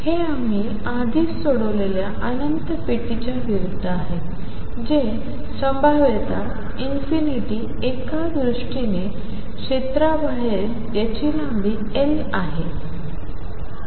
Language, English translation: Marathi, This is in contrast to the infinite box that we have already solved which was that the potential was going to infinity outside a certain area which is of length L